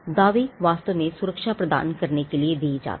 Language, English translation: Hindi, The claims are actually for what the protection is granted